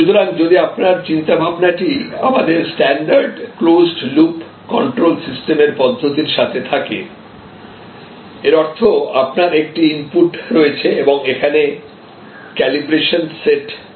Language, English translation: Bengali, So, again if your think is in terms of the our standard closed loop control system approach; that means, you have an input and here you may actually have a set calibration